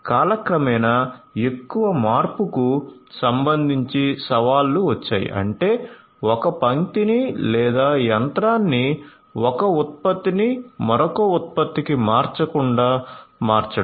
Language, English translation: Telugu, There were challenges with respect to longer change over time; that means, converting a line or machine from running one product to another